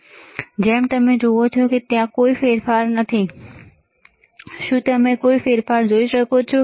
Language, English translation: Gujarati, And as you see, there is no change, can you see any change